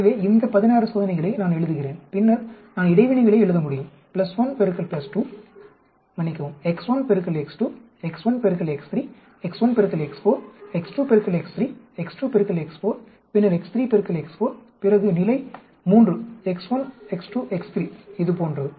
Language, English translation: Tamil, So I write down this sixteen experiments and then I can write down the interactions x 1 into x 2, x 1 into x 3, x 1 into x 4, x 2 into x 3, x 2 into x 4 then x 3 into 4 then 3 level x 1, x 2, x 3 like that like that it goes